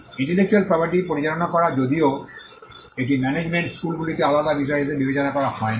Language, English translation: Bengali, Managing intellectual property though it is not thought as a separate subject in management schools